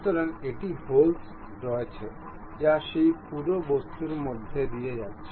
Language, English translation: Bengali, So, there is a hole which is passing through that entire object